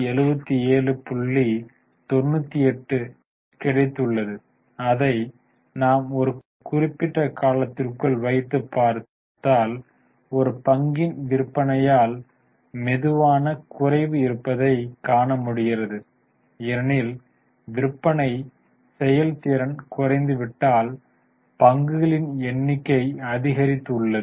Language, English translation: Tamil, And if we drag it over a period of time, you can see there is a slow fall in the sale per share because the sale performance has dropped while the number of shares have gone up